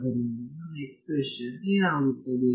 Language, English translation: Kannada, So, what does my expression become